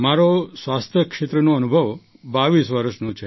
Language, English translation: Gujarati, My experience in health sector is of 22 years